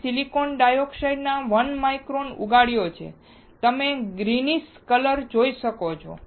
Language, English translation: Gujarati, I have grown 1 micron of silicon dioxide; you can see greenish colour